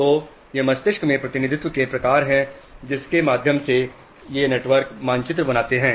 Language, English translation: Hindi, So, these are the type of representations in the brain through which these networks form maps